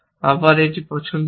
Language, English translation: Bengali, So, I have a choice here